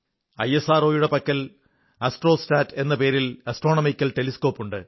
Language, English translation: Malayalam, ISRO has an astronomical satellite called ASTROSAT